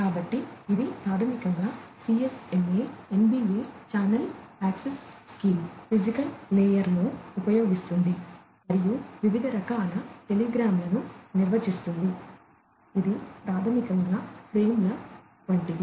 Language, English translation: Telugu, So, this can basically uses the CSMA, NBA channel access scheme, in the physical layer and defines different sorts of telegrams, which is basically some something like the frames